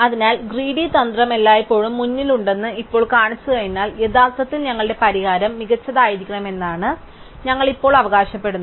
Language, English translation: Malayalam, So, now having shown that the greedy strategy always stays ahead, we will now claim that actually our solution must be optimum